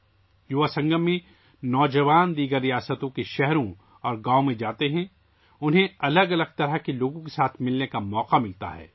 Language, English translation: Urdu, In 'Yuvasangam' youth visit cities and villages of other states, they get an opportunity to meet different types of people